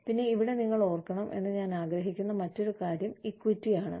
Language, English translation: Malayalam, Then, the other thing, I want to revise is, excuse me, equity